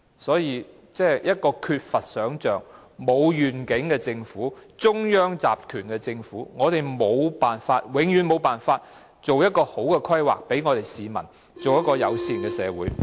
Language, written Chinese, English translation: Cantonese, 所以，一個缺乏想象和沒有願景的政府、一個中央集權的政府，永遠無法為市民妥善地規劃出一個友善的社會。, Hence a government with centralized powers but having neither imagination nor vision can never make sound planning for a friendly city to be enjoyed by the people